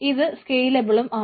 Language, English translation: Malayalam, so it is not scalable